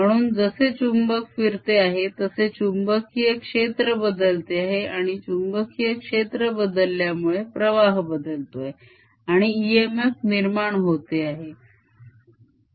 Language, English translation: Marathi, so as the magnet is moving around, its changing the magnetic field and the change in the magnetic field changes the flux and that generates an e m f